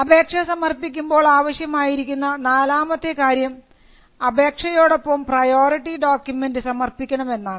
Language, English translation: Malayalam, The fourth thing the applicant has to file along with this application is the priority document